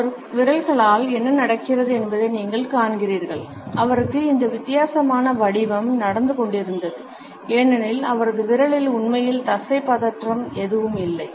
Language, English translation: Tamil, You see what is going on with his fingers he had this weird shape going on because there is not any really muscular tension going on in his finger